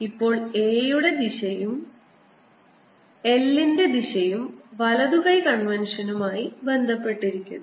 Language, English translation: Malayalam, now l direction and direction of are related by the right hand convention